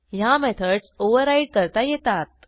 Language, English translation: Marathi, We can override these methods